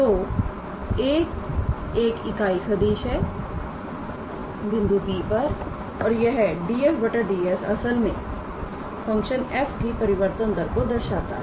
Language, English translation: Hindi, So, a cap is a unit vector at the point P and this df dS is actually denoting our rate of change of the function f